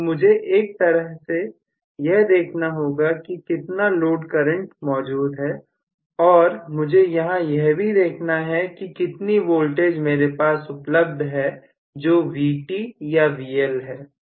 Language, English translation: Hindi, So, I have to look at how much is the load current in one sense, and I have to look at how much is the voltage that is available which is Vt or VL in another sense that is it